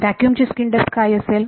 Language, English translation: Marathi, What is the skin depth of vacuum